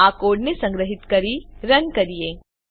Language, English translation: Gujarati, Now, let us save and run this code